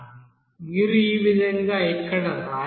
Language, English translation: Telugu, So this you can write here in this way